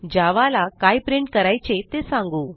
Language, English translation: Marathi, Now let us tell Java, what to print